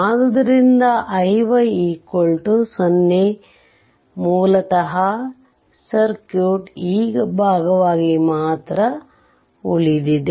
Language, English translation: Kannada, So, i y 0, so this is 0 basically circuit remains only this part